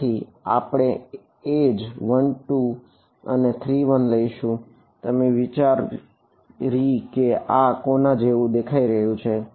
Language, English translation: Gujarati, So, we will edge is 1 2 and 3 1 what do you think it looks like